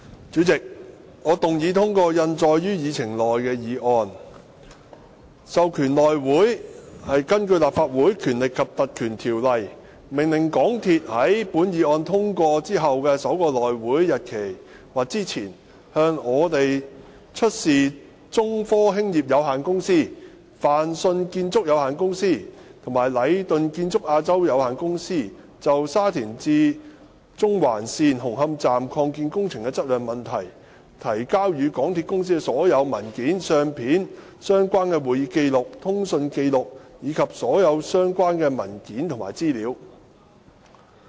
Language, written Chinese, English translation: Cantonese, 主席，我動議通過印載於議程內的議案，授權內務委員會根據《立法會條例》，命令香港鐵路有限公司於本議案獲通過後的首個內會會議日期或之前，向我們出示中科興業有限公司、泛迅建築有限公司和禮頓建築有限公司就沙田至中環線紅磡站擴建工程質量問題，提交予港鐵公司的所有文件、相片、相關的會議紀錄、通訊紀錄，以及所有其他相關的文件和資料。, President I move that the motion as printed on the Agenda be passed so that the House Committee HC be authorized under the Legislative Council Ordinance to order the MTR Corporation Limited MTRCL to produce before HC on or before the date of the first HC meeting after the passage of this motion all the documents photos related records of meetings and correspondences and all other relevant documents and information presented to MTRCL by China Technology Corporation Limited Fang Sheung Construction Company and Leighton Contractors Asia Limited Leighton in relation to the quality of the extension works of Hung Hom station of the Shatin to Central Link SCL